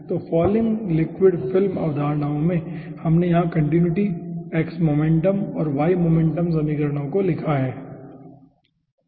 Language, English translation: Hindi, so in falling liquid film assumptions we have ah written down over here, the continuity, x momentum and y momentum equations respectively